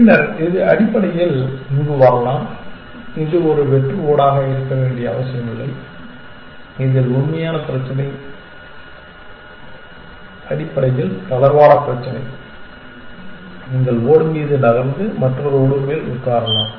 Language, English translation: Tamil, Then, it can come here essentially, it does not have to be a blank tile to move into which is the real problem essentially the relaxed problem, you can move over on the tile and sit on top of another tile